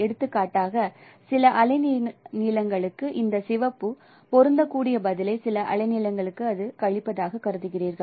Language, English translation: Tamil, For some web length, for example the you consider this red matching response for some wavelengths it is subtracted